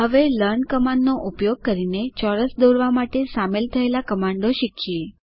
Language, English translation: Gujarati, Now lets learn the commands involved to draw a square, using the learn command